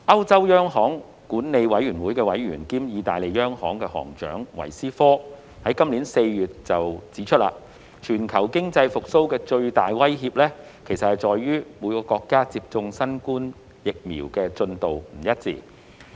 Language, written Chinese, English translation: Cantonese, 歐洲央行管理委員會委員兼意大利央行行長維斯科今年4月指出，全球經濟復蘇的最大威脅，其實在於各國接種新冠疫苗的進度不一。, Member of the Governing Council of the European Central Bank cum the Governor of the Italian central bank Ignazio VISCO pointed out in April this year that the biggest threat to global economic recovery actually lies in the varied progress of novel coronavirus vaccination amongst different countries